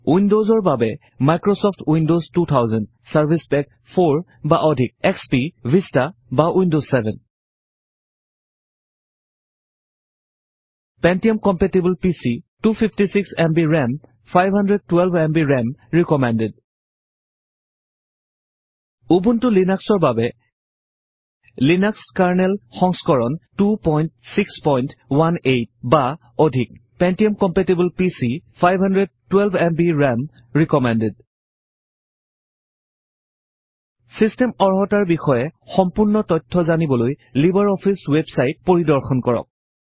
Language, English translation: Assamese, For Windows, you will need Microsoft Windows 2000 , XP, Vista, or Windows 7 Pentium compatible PC 256 Mb RAM For Ubuntu Linux,the system requirements are: Linux kernel version 2.6.18 or higher Pentium compatible PC 512Mb RAM recommended For complete information on System requirements,visit the libreoffice website